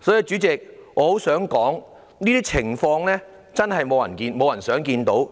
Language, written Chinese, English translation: Cantonese, 主席，我很想說，這些情況真是沒有人想看到。, Chairman I wish to say that no one looks forward to such a situation